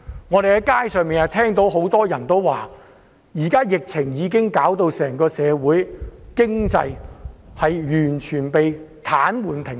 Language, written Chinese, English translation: Cantonese, 我們在街上不時聽到有人說，現時疫情已導致社會經濟完全癱瘓、停擺。, We have heard from time to time people on the streets saying that the current epidemic has brought our society and economy to a complete halt and standstill